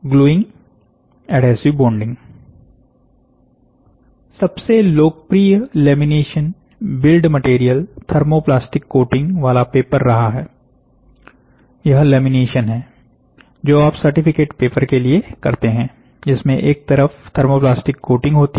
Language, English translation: Hindi, Gluing or adhesive bonding the most popular lamination build material has been the paper with a thermoplastic coating, this is what I said lamination, which you do for certificates paper, with a thermoplastic coating on one side